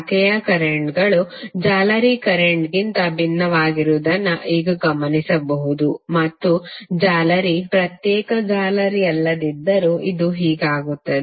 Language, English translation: Kannada, Now you can notice that the branch currents are different from the mesh currents and this will be the case unless mesh is an isolated mesh